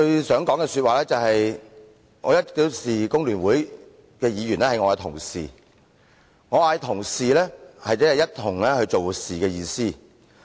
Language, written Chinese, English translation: Cantonese, 首先，我一向視工聯會的議員為同事，我所說的同事即一起做事的意思。, The first thing I wish to say is that I have always regarded Members from the Hong Kong Federation of Trade Unions as my colleagues . By colleagues I mean Members who work with me